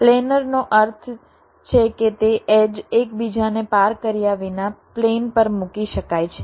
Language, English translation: Gujarati, planar means it can be be laid out on a plane without the edges crossing each other